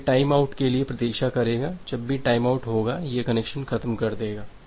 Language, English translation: Hindi, So, it will wait for the time out value whenever the timeout will occur it will release the connection